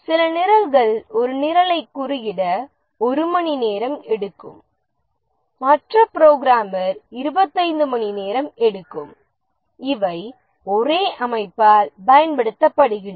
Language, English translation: Tamil, Somebody who takes one hour to code a program, the other programmer takes 25 hours and these are employed by the same organization